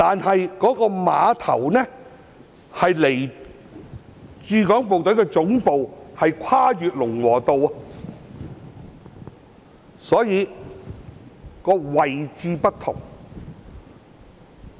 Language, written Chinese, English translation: Cantonese, 然而，這個碼頭並非連接駐港部隊總部，因為它跨越了龍和道，所以兩者的位置並不相同。, Yet the dock is separated from the headquarters of the Hong Kong Garrison as Lung Wo Road has cut them off such that the two facilities are not located on the same site